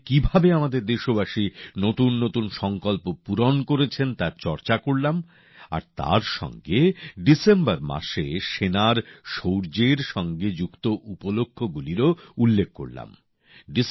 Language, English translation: Bengali, We discussed how our countrymen are fulfilling new resolutions in this AmritKaal and also mentioned the stories related to the valour of our Army in the month of December